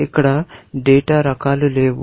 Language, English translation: Telugu, There are no data types involved here